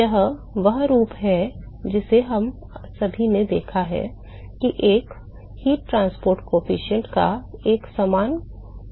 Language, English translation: Hindi, It is the form that we have all seen a heat transport coefficient has a similar functional form right